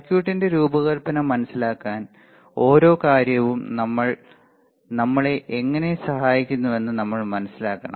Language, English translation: Malayalam, Then we should understand how each thing helps us to understand for the design of the circuit